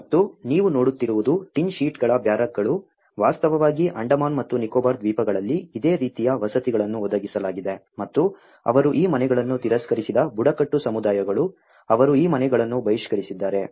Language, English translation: Kannada, And what you can see is a barracks of the tin sheets, in fact, the similar kind of housing has been provided in the Andaman and Nicobar ice islands and the tribal communities they rejected these houses, they have boycotted these houses